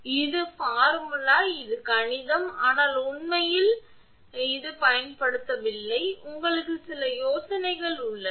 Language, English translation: Tamil, So, this formula this is mathematics, but in reality it is not used actually, but you have some ideas